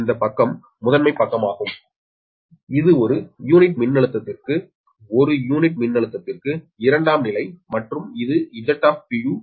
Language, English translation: Tamil, this side is primary side, this is per unit voltage, secondary side, per unit voltage and this is the z